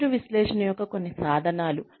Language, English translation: Telugu, Some tools of performance analysis